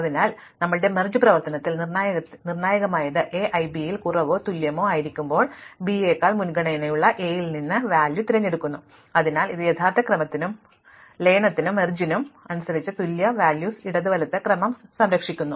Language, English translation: Malayalam, So, crucial in our merge operation is that when A i is less than or equal B j we pick the element from A in preference to B, so this preserves the left right order of equal elements with respect to the original order and since merge sort as we have done in stable